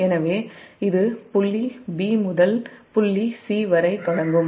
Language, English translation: Tamil, so this, this will start from point b to point c